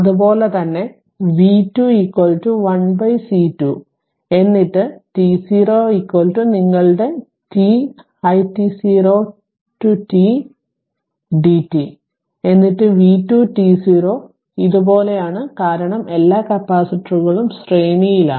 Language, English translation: Malayalam, Similarly v 2 is equal to 1 upon C 2 then t 0 is equal to your t, i t 0 to ti t dt, then v 2 t 0 like this because all the capacitors are in series